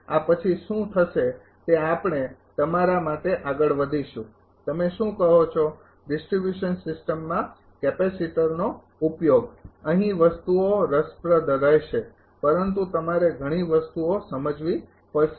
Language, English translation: Gujarati, After this what will happen we will move to your what you call application of capacitor to distribution system, here things will be interesting, but you have to you have to understand many things